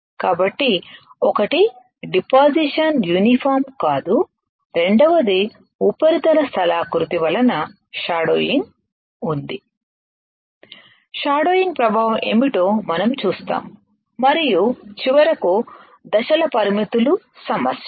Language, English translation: Telugu, So, one is the deposition is not uniform, second is there is a shadowing by surface topography We will see what is shadowing effect and finally, step coverages are issues